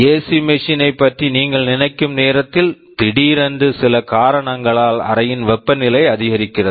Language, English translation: Tamil, You think of ac machine, suddenly due to some reason the temperature of the room has gone up